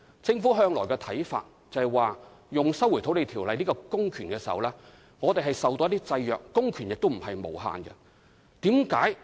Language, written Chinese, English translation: Cantonese, 政府一直認為，行使《收回土地條例》下的公權時，須受到法律的制約，公權並非無限。, The Government has all along opined that when exercising the public power under LRO it must be subject to the constraints imposed by the law and public power is not indefinite